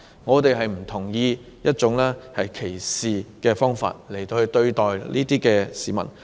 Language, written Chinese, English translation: Cantonese, 我們不同意以歧視方式對待個別市民。, We do not agree that we should treat any individual persons in a discriminatory manner